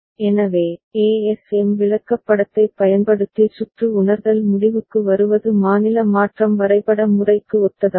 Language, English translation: Tamil, So, to conclude circuit realization using ASM chart is similar to state transition diagram method ok